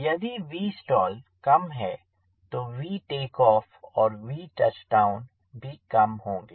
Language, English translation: Hindi, so if v stall is less, then v take off, a v touch down, is also less